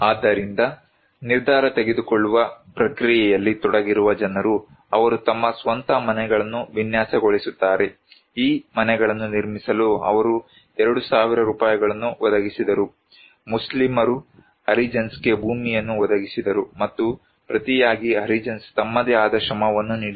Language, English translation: Kannada, So, people who are involved into the decision making process, they design their own houses, finances they provided 2000 Rupees to build these houses, Muslims provided land to Harijans and in return Harijans given their own labour